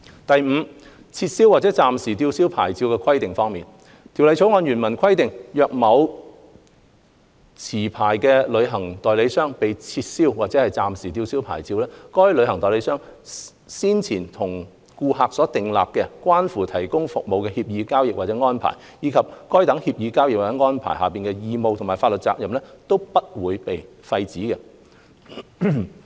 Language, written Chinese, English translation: Cantonese, 第五，撤銷或暫時吊銷牌照的規定方面，《條例草案》原文規定，若某持牌旅行代理商被撤銷或暫時吊銷牌照，該旅行代理商先前與顧客訂立、關乎提供旅遊服務的協議、交易或安排，以及該等協議、交易或安排下的義務和法律責任，並不會被廢止。, Fifthly with regard to the requirements on revocation or suspension of licence the original text of the Bill provides that the revocation or suspension of a licensed travel agents licence does not operate to avoid any obligation or liability under any agreement transaction or arrangement relating to the provision of a travel service that is entered into by the travel agent with a customer at any time before the revocation or suspension